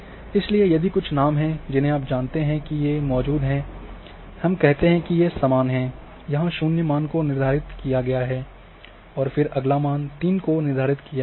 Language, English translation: Hindi, So, if they are having certain names you know which are present we say these are the equal one, this has been assigned to zero value and then next one is assigned three